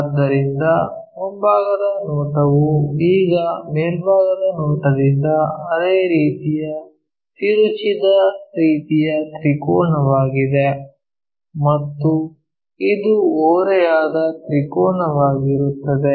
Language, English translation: Kannada, So, front view now it is skewed kind of triangle similarly from top view also it will be a skewed triangle